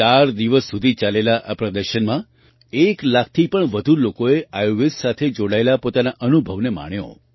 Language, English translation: Gujarati, In this expo which went on for four days, more than one lakh people enjoyed their experience related to Ayurveda